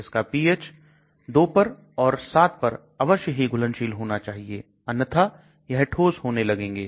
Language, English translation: Hindi, It should be soluble at 2 or it should be soluble at 7 otherwise it will start precipitating